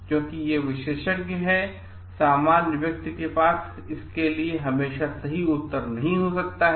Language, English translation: Hindi, Because these are expertized domain and lay person may not always have the correct answer for it